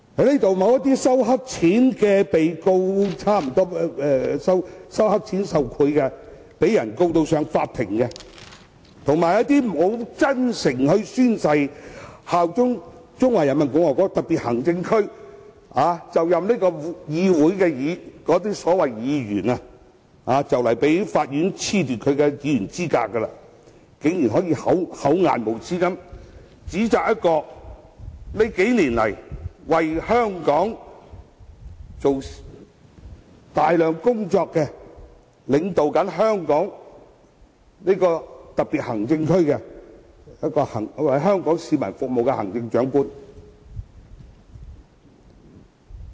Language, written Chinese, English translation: Cantonese, 那些因收黑錢受賄而被告上法庭的議員，以及那些沒有真誠宣誓效忠中華人民共和國特別行政區便就任成為立法會議員的所謂議員，雖然快將被法院褫奪其議員資格，但仍然厚顏無耻地指責在這數年間為香港做了大量工作，現正領導香港特別行政區並為香港市民服務的行政長官。, For those Members who have been brought to the court for accepting bribes and those so - called Members who took office as Members of the Legislative Council without sincerely swearing allegiance to the Special Administrative Region of the Peoples Republic of China though they will soon be disqualified by the court they now still brazenly point their fingers at the Chief Executive who has done a lot of work for Hong Kong over these years and is leading HKSAR and serving Hong Kong people